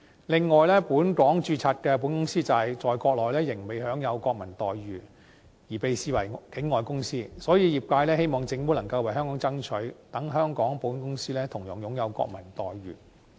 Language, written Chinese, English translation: Cantonese, 此外，本港註冊的保險公司在國內仍未享有國民待遇，而被視為境外公司，所以業界希望政府能夠為香港爭取，令香港保險公司同樣享有國民待遇。, In addition as Hong Kong - registered insurance companies have yet to enjoy national treatment and are still treated as non - local companies on the Mainland the sector hopes that the Government will strive for better terms for Hong Kong so that Hong Kong insurance companies will likewise enjoy national treatment